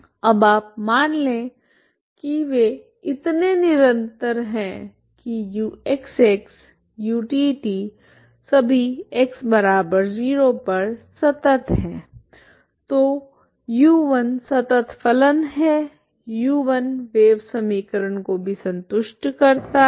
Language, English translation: Hindi, Now you assume that they are smooth enough U X X, U T T they are all continuous at X equal to zero then U1 is also continuous U1 is also satisfy wave equation